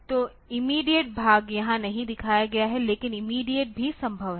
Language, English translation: Hindi, So, immediate part is not shown here, but immediate are also possible